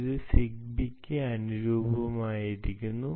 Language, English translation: Malayalam, it is optimized for zigbee, well known zigbee